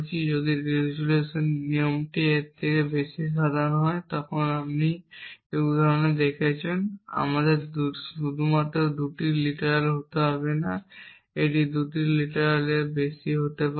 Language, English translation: Bengali, If at the resolution rule more general than this as you saw in this example we does not have to be only 2 literals it can be more than 2 literals